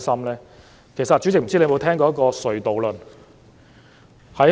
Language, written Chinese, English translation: Cantonese, 主席，不知你有沒有聽過"隧道論"？, Chairman I wonder if you have heard about the tunnel theory